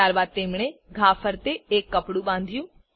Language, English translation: Gujarati, Then they tied a cloth above the wound